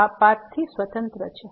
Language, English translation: Gujarati, This is independent of the path